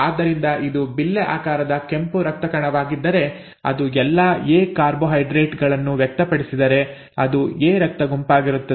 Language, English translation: Kannada, So if this is the red blood cell disc shaped red blood cell, if it has all A carbohydrates being expressed then it is blood group A